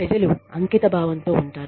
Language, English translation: Telugu, People will be dedicated